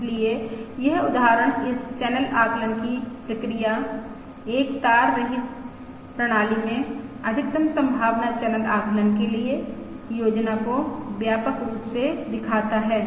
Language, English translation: Hindi, So this example sort of comprehensively illustrates this process of channel estimation, the scheme for maximum likelihood channel estimation in a wireless system